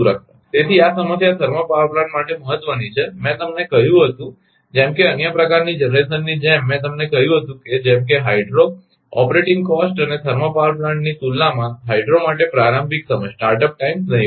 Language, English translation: Gujarati, So, this problem is of importance for thermal plant I told you right, as as for other types of generation, I told you such as hydro the operating cost and start up times are negligible for hydro, as compared to the thermal power plant right